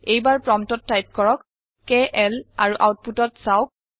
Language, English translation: Assamese, This time at the prompt type KL and see the output